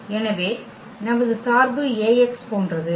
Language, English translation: Tamil, So, our function is like Ax